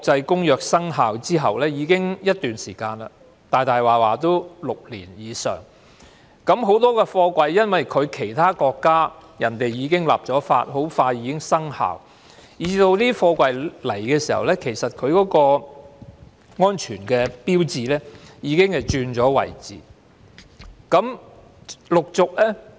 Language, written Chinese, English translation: Cantonese, 《公約》的決議生效大概已有6年以上時間，很多貨櫃因為其他國家已經立法並很快生效，以致這些貨櫃來到香港時，它們的安全合格牌照的標記已經轉變了位置。, The resolutions on the Convention came into force more than six years ago . Many containers arriving in Hong Kong have already changed the positions for their safety approval plates in order to comply with the requirements of other countries which have expeditiously incorporated the resolution into their local legislation